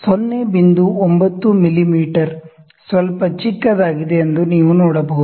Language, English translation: Kannada, 9 mm is a little smaller